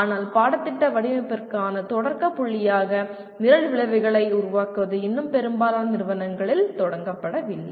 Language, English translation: Tamil, But making Program Outcomes as a starting point for curriculum design is yet to start in majority of the institutions